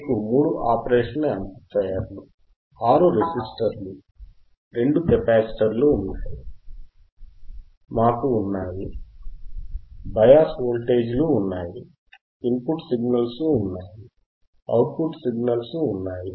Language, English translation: Telugu, So, three operation amplifier we have, we have six resistors, we have two capacitors, we have we have bias voltages, we have input signals, we have output signals